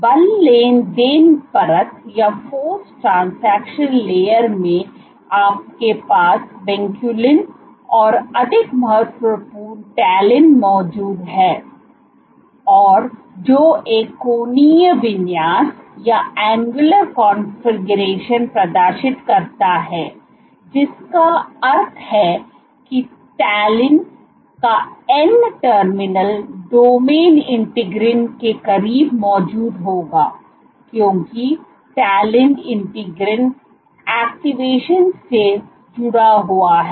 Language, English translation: Hindi, In force transaction layer you have Vinculin and more important Talin which exists, which exhibits a angular configuration, which means that you are n terminal domain of Talin would be present close to integrins because Talin has been associated with integrin activation ok